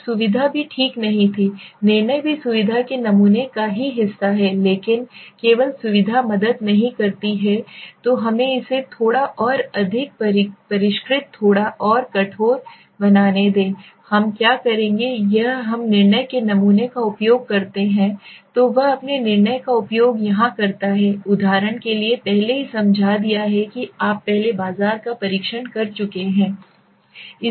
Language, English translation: Hindi, Now convenience was not exactly also judgment is also part of the convenience sampling only but only convenience does not help so let us make it little more refined little more rigor right and we will what will do is we use the judgmental sampling so he uses his judgment here right so let say for example I have already given you explained you test market earlier